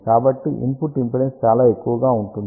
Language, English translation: Telugu, So, input impedance will be very high